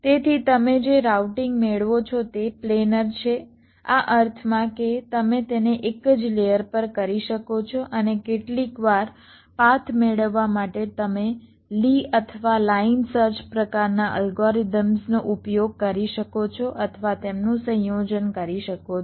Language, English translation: Gujarati, so the routing that you get is planner in the sense that you can do it on the same layer and sometimes to get the path you can use either lees or line search kind of algorithms or a combination of them